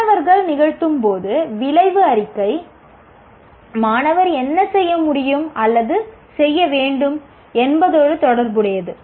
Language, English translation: Tamil, When students do or perform, because outcome statement is related to what students should be able to do or perform